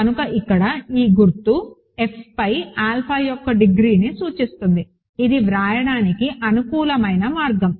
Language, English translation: Telugu, So, this symbol here stands for degree of alpha over F, it is a convenient way of writing that